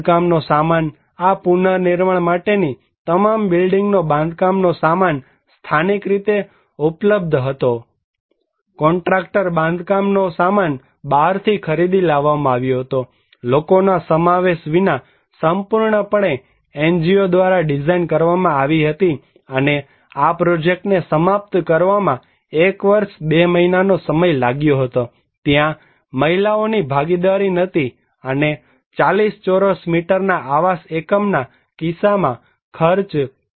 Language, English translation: Gujarati, Building materials; all building materials for these reconstructions were locally available building materials, contractor bought the building materials from outside, entirely designed by the NGO without any involvement of the people and it took 1 year 2 months to finish this project, women participations was not there and cost was Rs